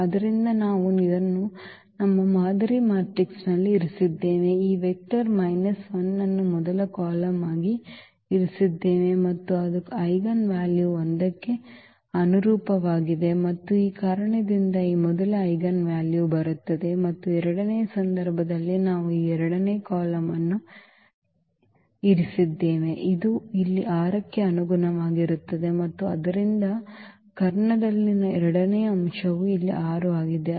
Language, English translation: Kannada, So, we have kept in our model matrix this, these vector minus 1 as the first column, and that was corresponding to the eigenvalue 1 and that is the reason here this first eigenvalue is coming and in the second case we have kept this second column which was corresponding to the 6 here and therefore, the second element in the diagonal is 6 here